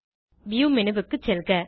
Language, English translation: Tamil, Go to View menu